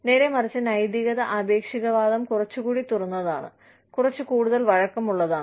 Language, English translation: Malayalam, Ethical relativism, on the other hand, is a little more open, little more flexible